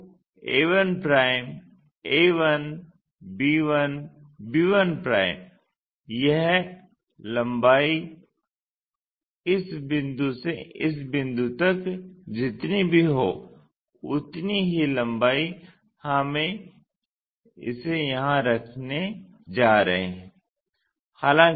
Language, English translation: Hindi, So, a 1', a 1, a 1, b 1, b 1' so, this length whatever from this point to this point that length the same length we are going to keep it here